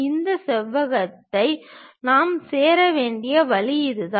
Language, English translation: Tamil, That is the way we have to join these rectangles